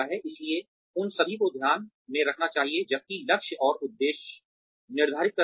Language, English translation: Hindi, So, all that should be taken into account, while setting targets and objectives